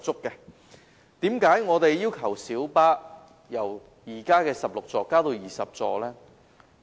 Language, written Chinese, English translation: Cantonese, 為何我們要求小巴由現時的16個座位增至20個座位？, Why do we demand the increase of seats in light buses from the existing 16 to 20?